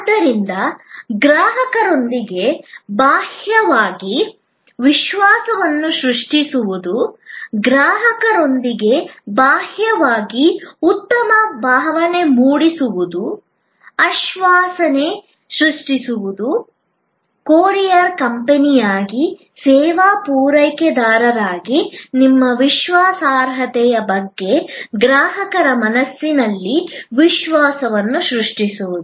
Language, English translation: Kannada, So, to create trust externally with the consumer, to create good feeling externally with the customer, to create assurance, to create the trust in customer's mind about your reliability as a service provider as a courier company